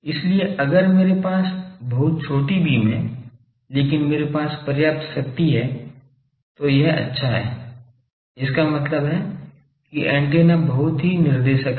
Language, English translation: Hindi, So, if I have a very short beam, but I have sufficient power then that is good; that means, the antenna is very directive